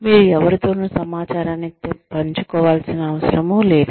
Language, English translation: Telugu, You do not have to share the information with anyone